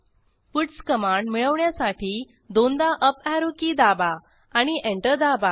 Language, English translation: Marathi, Press Up Arrow key twice to get the puts command and press Enter